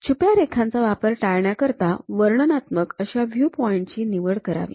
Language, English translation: Marathi, To avoid using hidden lines, choose the most descriptive viewpoint